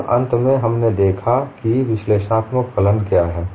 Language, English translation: Hindi, So we need to understand, what an analytic functions